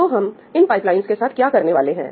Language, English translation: Hindi, So, what are we doing with these pipelines